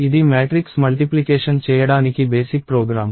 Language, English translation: Telugu, So, this is the basic program to do matrix multiplication